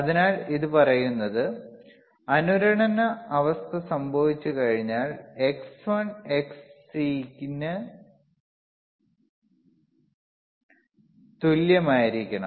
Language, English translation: Malayalam, So, what it says is that, when the once the resonance condition occurs, right the xXll will be equal to xXc